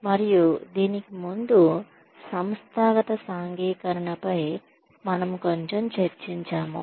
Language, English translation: Telugu, And before that, we will have a little bit of discussion on, organizational socialization